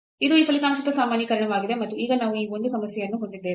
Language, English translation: Kannada, So, this is the generalization of this result and now we will have this one problem on this